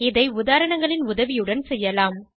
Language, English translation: Tamil, We will do this with the help of examples